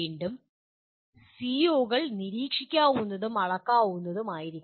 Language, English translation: Malayalam, Again, COs should be observable and measurable